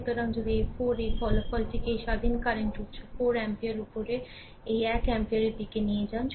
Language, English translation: Bengali, So, if you take the resultant of this 4 a this independent current source 4 ampere upward this one ampere